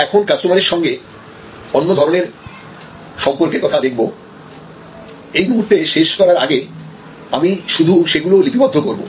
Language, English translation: Bengali, And so now, we will look a different types of relationship with customers and at this moment before I conclude I will only list these